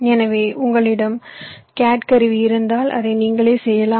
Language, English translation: Tamil, so if you have the cat tool available with you you can do it yourself